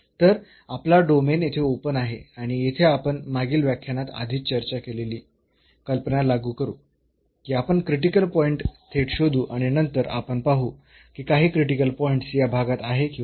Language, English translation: Marathi, So, our domain is open here and we will apply the idea which is discussed already in the previous lecture that we will find directly, the critical point and then we will see that if some of the critical points fall in this region